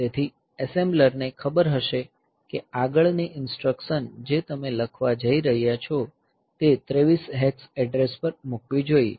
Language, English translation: Gujarati, So, the assembler will know that the next instruction that you are going to write, it should be put at address 23 hex